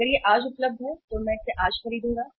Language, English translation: Hindi, If it is available today, I will buy it today